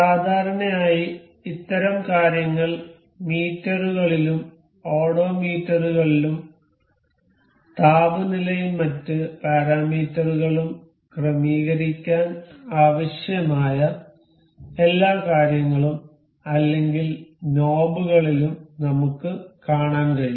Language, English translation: Malayalam, Generally, we can see such kind of things in meters, the odometers and all these things or knobs that required setting of temperatures and other parameters